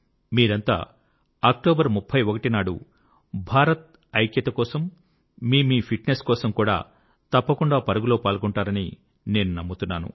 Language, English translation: Telugu, I hope you will all run on October 31st not only for the unity of India, but also for your physical fitness